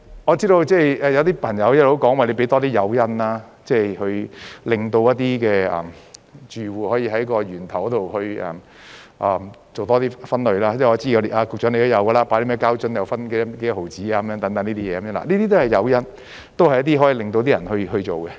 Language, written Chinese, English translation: Cantonese, 我知道有些朋友一直表示，要多提供誘因，令住戶可以在源頭多做分類，因為我知道局長也有這樣做，例如膠瓶可以有多少毫子等，這些都是誘因，都是一些可以令市民去做的方法。, I know that some friends have been suggesting that more incentives should be provided to encourage households to do more in waste separation at the source . I am aware that the Secretary has also been doing so for example people can exchange a plastic bottle for dozens of cents etc . These are all incentives and ways to make people take action